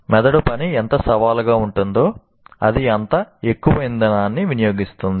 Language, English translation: Telugu, The more challenging brain task, the more fuel it consumes